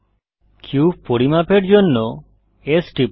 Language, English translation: Bengali, Press S to scale the cube